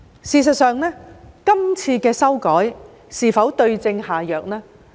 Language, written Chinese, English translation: Cantonese, 事實上，今次的修改是否對症下藥呢？, In fact are the amendments made on this occasion the right remedy for the problem?